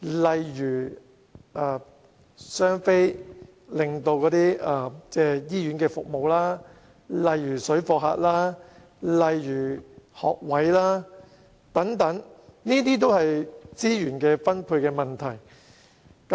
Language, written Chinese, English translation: Cantonese, 例如"雙非"對醫院服務造成影響、水貨客、學位短缺，這些都是資源分配引起的問題。, For instance the impacts of expectant Mainland mothers whose husbands are not Hong Kong residents on hospitals parallel - goods traders shortages of school places and so on are problems attributed to the distribution of resources